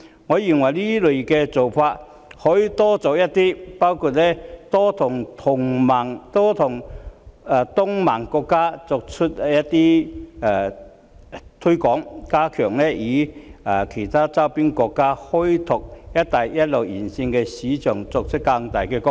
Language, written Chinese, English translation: Cantonese, 我認為這類工作可多做一些，包括多向東盟國家推廣或加強與其他周邊國家開拓"一帶一路"沿線的市場，從而作出更大的貢獻。, I think the Government can carry out more of this type of work such as stepping up promotion among Association of Southeast Asian Nations ASEAN countries or fostering partnership with other surrounding countries in opening up markets along the Belt and Road with a view to making a greater contribution